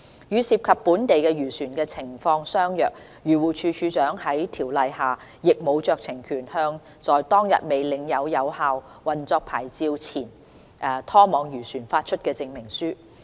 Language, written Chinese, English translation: Cantonese, 與涉及本地漁船的情況相若，漁護署署長在《條例》下亦無酌情權，向在當日未領有有效運作牌照的前拖網漁船發出證明書。, Similar to the situation for local fishing vessels DAFC does not have any discretionary power under the Ordinance to grant a CER in respect of a former trawler without a valid operating licence on that date